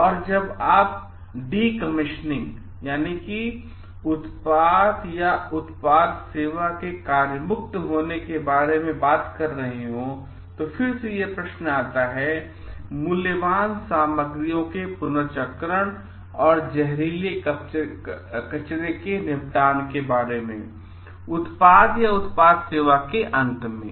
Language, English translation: Hindi, And when you are talking about decommissioning, so, these are again questions of recycling the valuable materials and disposal of toxic wastes handled at the end of the useful life, where do we do it, what we do with the toxic wastes